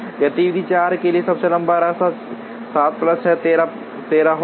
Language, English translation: Hindi, For activity 4 the longest path will be 7 plus 6, 13 plus 8, 21 plus 4, 25